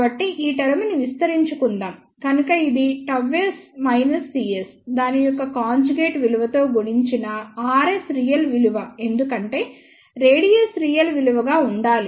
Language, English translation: Telugu, So, let us expand this term so, this would be gamma s minus c s multiplied by it is conjugate value r s is a real value because, radius has to be a real value